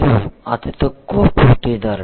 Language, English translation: Telugu, If you are lowest price a lowest cost competitors is 9